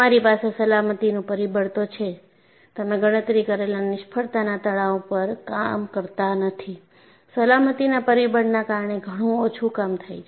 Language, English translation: Gujarati, You have a factor of safety; you do not operate at the calculated the failure stress; you operate much below that by bringing in a factor of safety